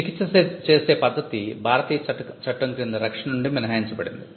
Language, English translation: Telugu, There is a medical method of treatment are exempted from protection under the Indian act